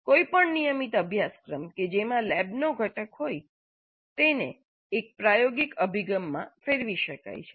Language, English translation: Gujarati, Any regular course which has a lab component can be turned into an experiential approach